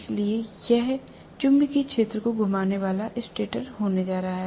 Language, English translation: Hindi, So, this is going to be the stator revolving magnetic field